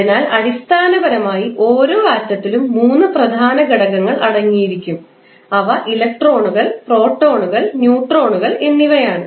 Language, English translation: Malayalam, So, basically the the each atom will consist of 3 major elements that are electron, proton, and neutrons